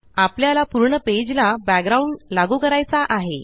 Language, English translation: Marathi, We just apply a background to the whole page